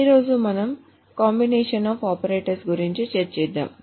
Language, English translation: Telugu, Today we will talk about composition of operators